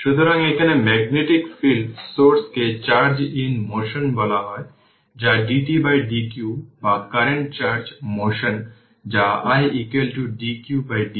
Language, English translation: Bengali, So, the source of the magnetic field is here what you call charge in motion that is current dq by dt or current charge in motion that is i is equal to dq by dt your current right